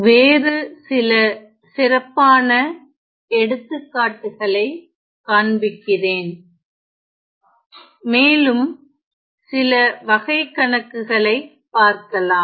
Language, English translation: Tamil, Let me show you some other examples specially; let me show you some word problems